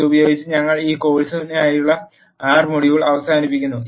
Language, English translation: Malayalam, With this we end the R module for this course